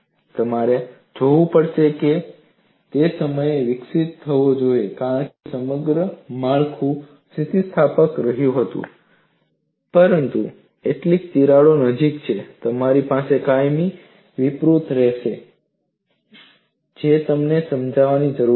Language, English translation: Gujarati, You have to look at the time he developed because the structure as the whole remind elastic, but near the crack alone, you will have plastic deformation he needs to convince